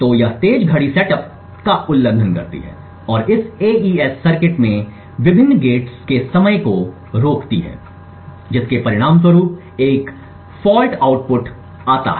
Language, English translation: Hindi, So this fast clock violates setup and hold times of various gates in this AES circuit resulting in a faulty output